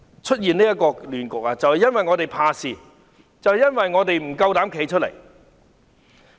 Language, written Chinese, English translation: Cantonese, 出現現在的亂局，就是因為我們怕事，因為我們不敢站出來。, Our hesitation to stand up against the rioters has led to the present chaos